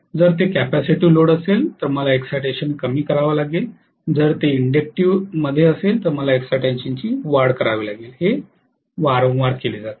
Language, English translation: Marathi, If it is capacitive load, I have to reduce the excitation, if it is inductive load I have to increase the excitation, this is done very repeatedly